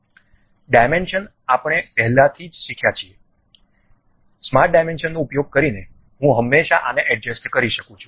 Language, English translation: Gujarati, Dimensions we have already learned, using smart dimensions I can always adjust this